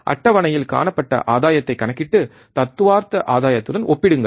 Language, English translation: Tamil, Calculate the gain observed in the table and compare it with the theoretical gain